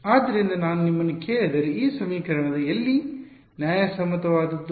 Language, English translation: Kannada, So, if I ask you: where all is this equation valid